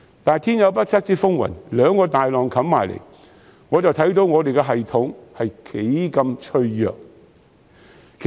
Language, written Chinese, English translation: Cantonese, 但是，天有不測之風雲，兩個大浪湧至，大家都看到我們的系統是多麼的脆弱。, However there were unforeseen conditions . Two big waves came and exposed how fragile our system was